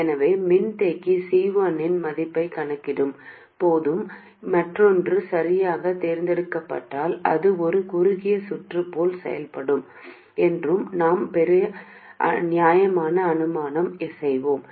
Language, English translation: Tamil, So, we will make a reasonable assumption that while calculating the value of capacitor C1, the other one is chosen correctly such that it does behave like a short circuit